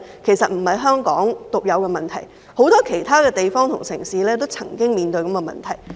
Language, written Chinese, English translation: Cantonese, 其實這不是香港獨有的問題，很多其他地方和城市亦曾經面對這個問題。, As a matter of fact this is not a problem unique to Hong Kong . Many other places and cities have also faced this problem before